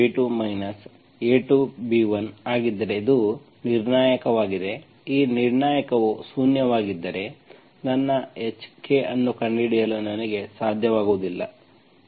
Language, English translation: Kannada, If A1 B2 minus A2 B1, this is the determinant, if this determinant is zero, I will not be able to find my H, K